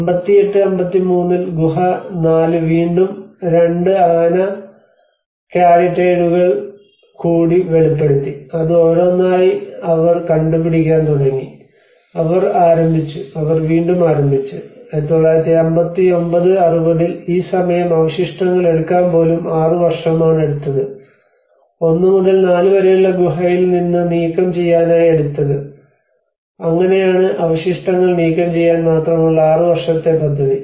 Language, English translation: Malayalam, \ \ And in 58 59, there is again cave 4 revealed two more elephant caryatides, and like that one by one they started discovering, and they started and they again in 1959 60 by this time it is almost 6 years to even taking the debris from the hillside opposite cave 1 to 4 you know that is how it is a six year project only just to clear the debris